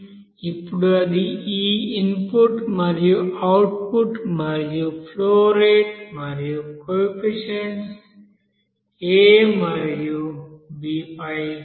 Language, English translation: Telugu, Now that depends on this you know input and output you know that flow rate and also that coefficient a and b here or constant a and b